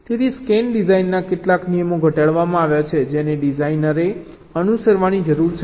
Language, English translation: Gujarati, ok, so some of the scan design rules, means have been formulated which a designer needs to follow